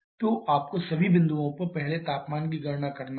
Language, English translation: Hindi, So, you have to calculate first the temperature at all the points